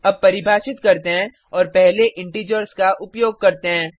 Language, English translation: Hindi, Let us define and use integers first